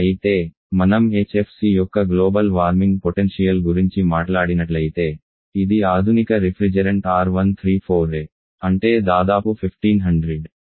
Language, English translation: Telugu, It will cause compared to carbon dioxide whereas, if we talk about Global Warming potential of HFC which is the modern reference is R134a which is about 1500